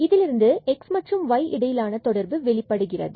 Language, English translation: Tamil, So, there is a restriction on x y